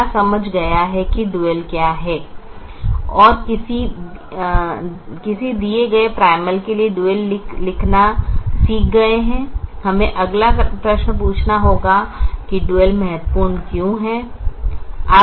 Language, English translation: Hindi, having understood what is a dual and having learnt how to write the dual for a given primal, we have to ask the next question: why is the dual important